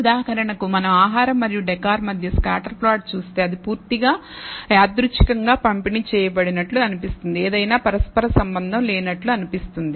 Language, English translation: Telugu, So, for example, if we look at the scatter plot between food and decor it is seems to be completely randomly distributed this does not seem to be any quite correlation